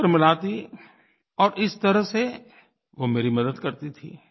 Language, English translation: Hindi, She would then compare answers and thus be of great help to me